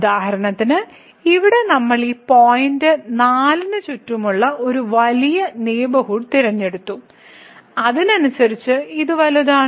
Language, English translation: Malayalam, So, for instance here we have chosen a big neighborhood of around this point 4 and then, correspondingly this delta is also big